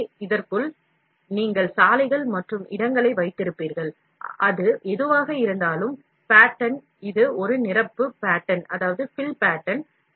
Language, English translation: Tamil, So, inside this, you will have roads and lay, whatever it is, pattern, this is a fill pattern